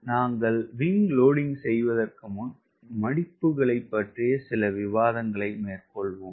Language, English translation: Tamil, and before we do wing loading we will have some discussion on flaps